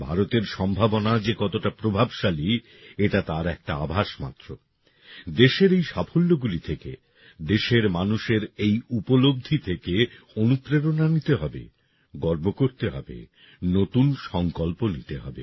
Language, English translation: Bengali, This is just a glimpse of how effective India's potential is we have to take inspiration from these successes of the country; these achievements of the people of the country; take pride in them, make new resolves